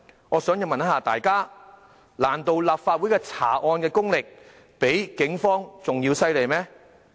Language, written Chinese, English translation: Cantonese, 我想請問大家，難道立法會的查案功力比警方更為厲害嗎？, I want to ask my fellow Members if they consider themselves better investigators than the police officers?